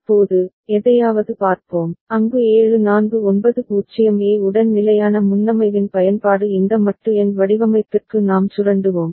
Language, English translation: Tamil, Now, we shall look at something which is, where the use of fixed preset which is there with 7490A that we shall exploit for this modulo number design